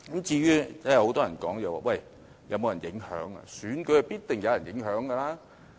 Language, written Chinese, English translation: Cantonese, 至於很多人問選舉有否受到影響，選舉是必定有人影響的。, Many people have asked if there is any influence on the election . In my view there is no doubt that influence prevails in all elections